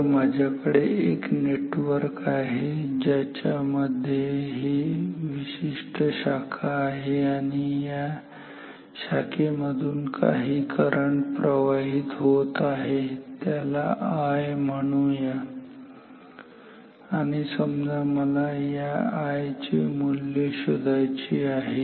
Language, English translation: Marathi, So, I have a network in short N W in which I have a particular branch and some current is flowing through it call this current as I and I want to find out the value of I